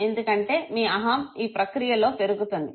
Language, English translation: Telugu, Because your ego will get inflated in that process